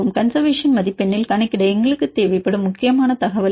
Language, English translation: Tamil, What is the main information if we did require for calculate in the conservation score